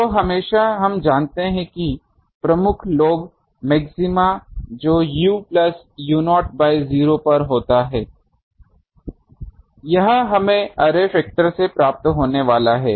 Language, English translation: Hindi, So, always we know that major lobe maxima that occur at u plus u not by 0, this is from array factor we get